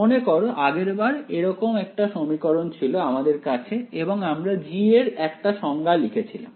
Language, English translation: Bengali, Remember we had last time an equation like this and we wrote a definition for g